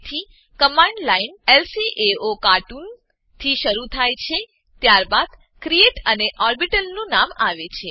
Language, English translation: Gujarati, So, the command line starts with lcaocartoon, followed by create and the name of the orbital